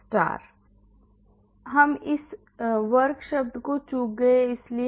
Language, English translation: Hindi, yes I missed out the square term that is why